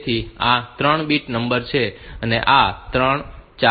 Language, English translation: Gujarati, So, this is, 3 bit number 3 4 and 5